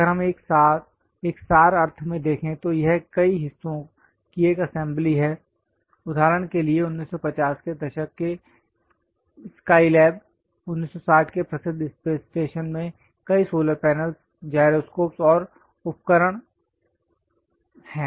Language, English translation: Hindi, If we are looking at that in abstract sense, it contains assembly of many parts for example, the SkyLab the 1950s, 1960s famous space station contains many solar panels, gyroscopes and instruments